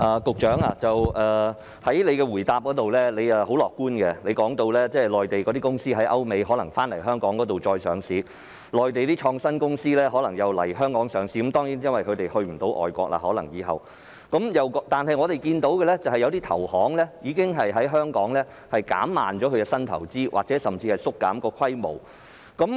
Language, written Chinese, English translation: Cantonese, 局長在主體答覆中說得很樂觀，他說在歐美的內地公司可能會來港上市，內地的創新公司亦可能會來港上市，這當然是由於它們以後可能無法再前往外國上市；但我們卻看到一些投行已經在香港減慢進行新投資的步伐或甚至縮減規模。, The Secretary has sounded very optimistic in the main reply in saying that Mainland enterprises in Europe and the United States may come to Hong Kong for listing and that innovative companies in the Mainland may also come to Hong Kong for listing . Obviously this is because they probably cannot list in overseas countries anymore in future . However we have seen that some investment banks have slowed down the pace of their new investment or even reduced their scale of operation in Hong Kong